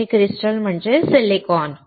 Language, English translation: Marathi, Crystal here means silicon